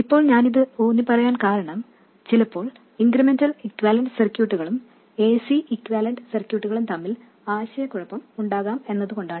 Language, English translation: Malayalam, Now, the reason I am emphasizing this is that sometimes there is a confusion between incremental equivalent circuits and AC equivalent circuits